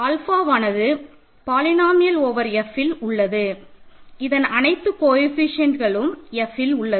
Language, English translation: Tamil, This means alpha is because if it is a polynomial over F all the coefficients are in F